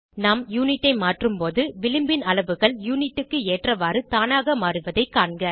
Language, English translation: Tamil, Note that when we change the Unit, margin sizes automatically change to suit the Unit